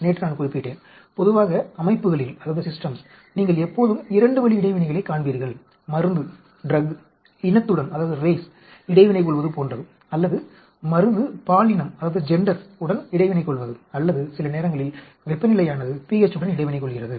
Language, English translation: Tamil, Yesterday mentioned generally in systems you will always see a 2 way interaction, like the drug interacting with the rays or drug interacting with the gender or sometimes temperature interacting with pH, but 3 way interactions are very rare